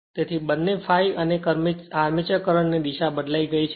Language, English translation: Gujarati, So, both I f and armature current direction is changed